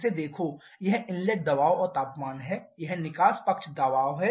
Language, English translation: Hindi, Look at this, this is the inlet pressure and temperature, this is the exit side pressure